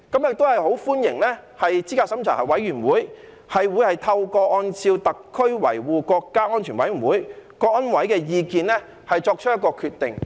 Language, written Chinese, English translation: Cantonese, 我很歡迎資審會將按照香港特別行政區維護國家安全委員會的意見作出決定。, I very much welcome the fact that CERC will make decisions pursuant to the opinion of the Committee for Safeguarding National Security of the Hong Kong Special Administrative Region